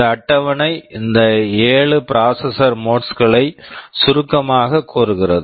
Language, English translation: Tamil, This table summarizes these 7 processor modes